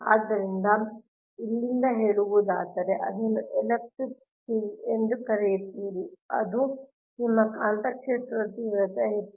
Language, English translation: Kannada, so from here, say you assume that is your, your, what you call that electric field, it is your magnetic field intensity is h x, right